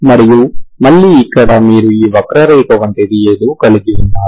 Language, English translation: Telugu, And again here you have something like this curve